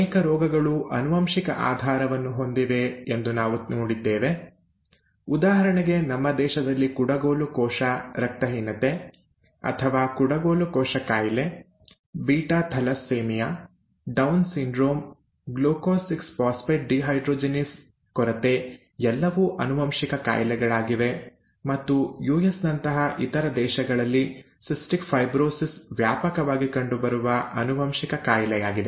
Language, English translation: Kannada, We saw that many diseases have a genetic basis; for example in our country, sickle cell anaemia or sickle cell disease, beta thalassaemia, Down syndrome, glucose 6 phosphate dehydrogenase deficiency are all occurring genetic diseases and in other countries such as the US, cystic fibrosis is a widely occurring genetic disorder